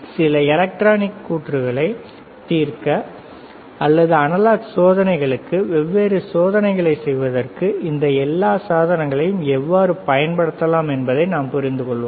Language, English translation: Tamil, And then we understand that how we can use this all the equipment to solve some electronic circuits or to or to use different experiments to analog experiments, right